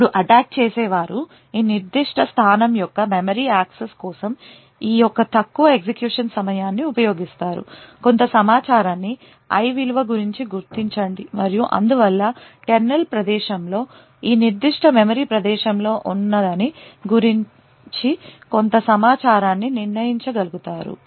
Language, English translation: Telugu, Now the attacker would use this lower execution time for memory access of this particular location, identify some information about the value of i and therefore be able to determine some information about what was present in this specific memory location in the kernel space